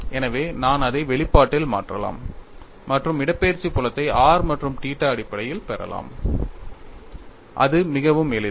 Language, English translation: Tamil, So, I can substitute it in the expression and get the displacement field in terms of r and theta as simple as that